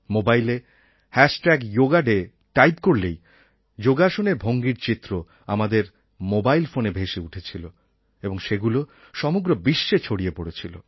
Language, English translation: Bengali, As soon as we typed 'hash tag yoga day', we would immediately get a picture of a yoga image on our mobile